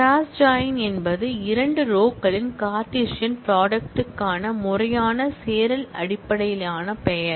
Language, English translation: Tamil, Cross join is just a formal join based name for Cartesian product of two rows